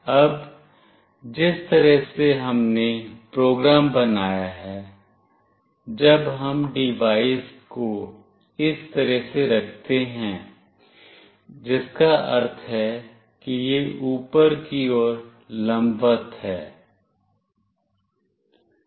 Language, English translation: Hindi, Now, the way we have made the program, when we place the device in this fashion meaning it is vertically up